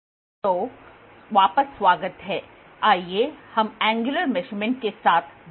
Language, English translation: Hindi, So, welcome back, let us continue with the Angular Measurement